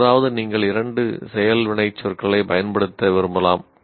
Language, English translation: Tamil, Occasionally, you may want to use two action verbs